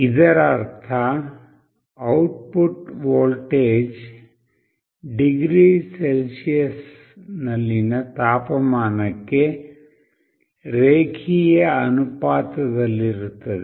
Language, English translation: Kannada, It means that the output voltage is linearly proportional to the temperature in degree Celsius